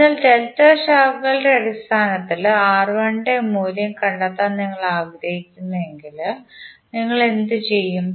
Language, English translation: Malayalam, So if you want to find out the value of R1 in terms of delta branches, what you will do